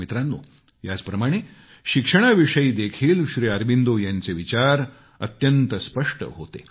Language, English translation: Marathi, likewise, Shri Aurobindo's views on education were very lucid